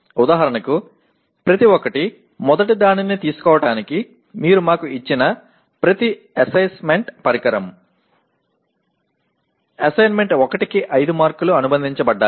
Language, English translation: Telugu, For example each one, each assessment instrument that you have let us say take the first one, assignment 1 there are 5 marks associated